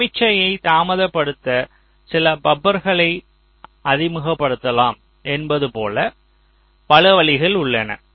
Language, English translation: Tamil, so there are several ways, as i had said, you can introduce some buffers to delay the signal